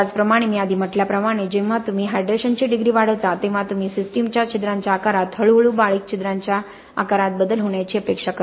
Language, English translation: Marathi, Similarly as I said earlier when you extend the degree of hydration you are also expecting a shift in the pore sizes of the systems to more finer progressively finer pore sizes